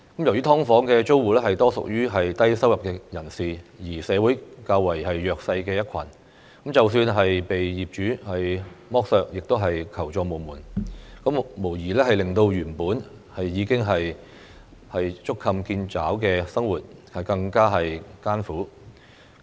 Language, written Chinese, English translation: Cantonese, 由於"劏房"租戶多屬低收入人士，是社會較為弱勢的一群，即使被業主剝削亦求助無門，無疑令到原本已經捉襟見肘的生活，更加艱苦。, As SDU tenants are mostly low - income earners who are a relatively disadvantaged group in society they will have nowhere to turn to for assistance even if they are exploited by their landlords which undoubtedly makes their lives even more difficult when they are already in straitened circumstances